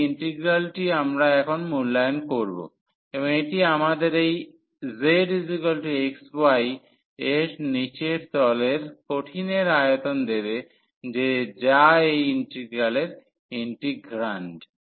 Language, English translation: Bengali, So, this is the integral we want to now evaluate and that will give us the volume of the solid below this that surface z is equal to x y which is the integrand of this integral